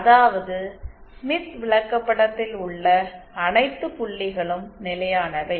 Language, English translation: Tamil, That mean the all points with in the smith chart are stable